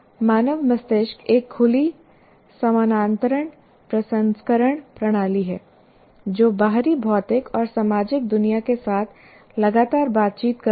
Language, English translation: Hindi, And the human brain is an open parallel processing system continually interacting with physical and social worlds outside